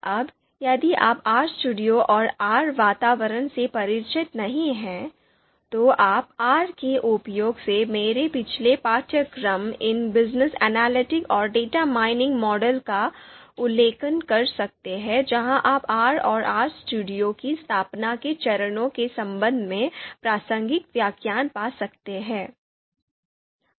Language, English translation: Hindi, Now if you are not familiar with RStudio and R environment, then you can refer to my previous course ‘Business Analytics and Data Mining Modeling using R’ where you can find the relevant lecture where you can actually you know install where you can actually look at the steps which are to be used for the installation purpose